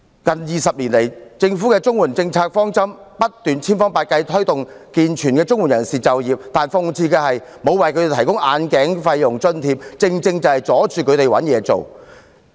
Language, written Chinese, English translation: Cantonese, 近20年來，政府的綜援政策方針是千方百計推動健全綜援人士就業，但諷刺的是，政府沒有為他們提供眼鏡費用津貼，正正阻礙了他們求職。, Over the last two decades the Governments policy direction for CSSA has been promoting employment of able - bodied CSSA recipients by every means . But ironically the Government did not provide them with a grant for costs of glasses thus hindering them in seeking employment